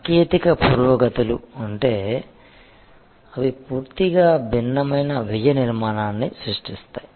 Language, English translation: Telugu, If there are technological breakthroughs, that create a completely different cost structure